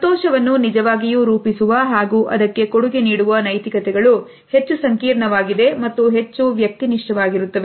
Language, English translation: Kannada, Realities of what truly constitutes and contributes to happiness are much more complex and at the same time they are also highly subjective